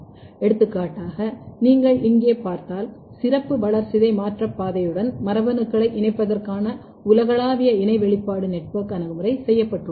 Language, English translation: Tamil, For example, if you look here a global co expression network approach for connecting genes to specialized metabolic pathway in pathway